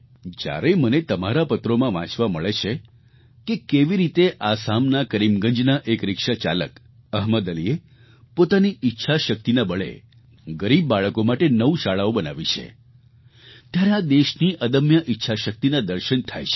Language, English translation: Gujarati, When I get to read in your letters how a rickshaw puller from Karimgunj in Assam, Ahmed Ali, has built nine schools for underprivileged children, I witness firsthand the indomitable willpower this country possesses